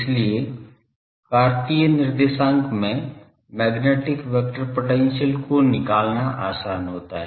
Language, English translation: Hindi, So, it is easier to find out magnetic vector potential in Cartesian coordinate